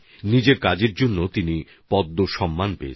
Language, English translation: Bengali, He has received the Padma award for his work